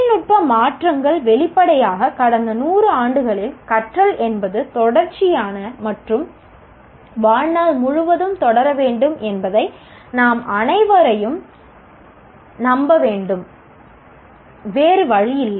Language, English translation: Tamil, The technological changes obviously in the last 100 years should convince all of us that learning is a continuous and lifelong pursuit